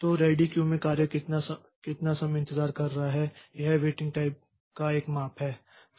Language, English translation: Hindi, So, how much time the job is waiting in the ready queue so that is a measure of the waiting time